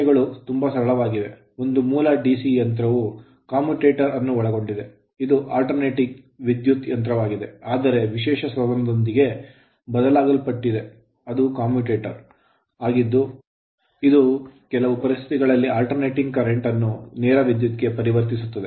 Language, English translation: Kannada, So, basic type of DC machine is that of commutator type, this is actually an your alternating current machine, but furnished with a special device that is called commutator which under certain conditions converts alternating current into direct current right